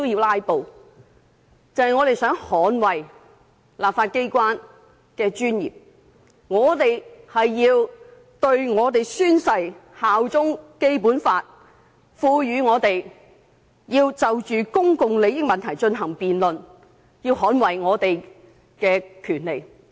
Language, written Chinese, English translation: Cantonese, 我們既宣誓效忠《基本法》，便要捍衞《基本法》賦予我們就公共利益問題進行辯論的權力。, Since we have sworn allegiance to the Basic Law we have to safeguard the rights granted to us under the Basic Law to debate on any issue concerning public interests